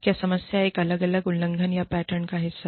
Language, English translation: Hindi, Is the problem, an isolated infraction, or part of a pattern